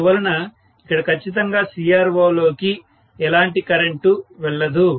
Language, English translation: Telugu, So, obviously there is hardly any current going into the CRO